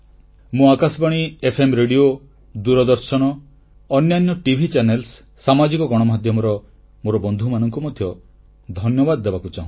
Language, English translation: Odia, I also thank my colleagues from All India Radio, FM Radio, Doordarshan, other TV Channels and the Social Media